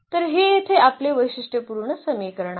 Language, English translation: Marathi, So, that is our characteristic equation here